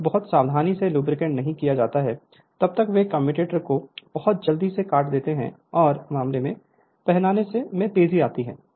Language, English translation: Hindi, Unless very carefully lubricated they cut the commutator very quickly and in case, the wear is rapid right